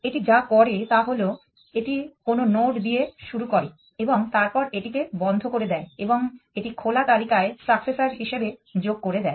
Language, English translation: Bengali, What it does is it is starts with some node then it puts it into closed and adds it is successes to the open list